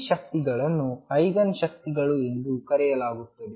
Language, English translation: Kannada, These energies are known as the Eigen energies